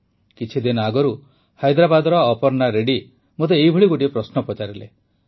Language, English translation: Odia, A few days ago Aparna Reddy ji of Hyderabad asked me one such question